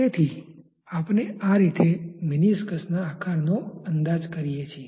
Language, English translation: Gujarati, So, we are approximating the shape of the meniscus in that way